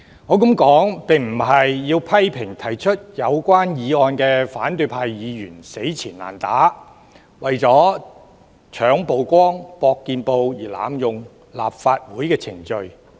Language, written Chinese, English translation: Cantonese, 我這樣說並非想批評提出議案的反對派議員死纏爛打，為了搶曝光、搏見報而濫用立法會程序。, In saying so I do not mean to criticize the opposition Members proposing such motions for persistently abusing the Legislative Council proceedings so as to steal the limelight and seek news coverage